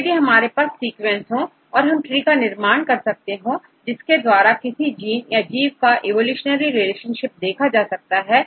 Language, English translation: Hindi, So, now if we have the sequences, we can construct trees to show the evolutionary relationship of any genes or organism